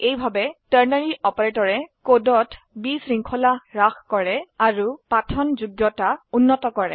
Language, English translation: Assamese, This way, ternary operator reduces clutter in the code and improves readability